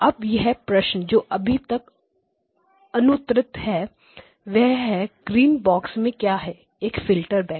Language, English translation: Hindi, Now the question that remains to be answered is what is within the green box a bank of filters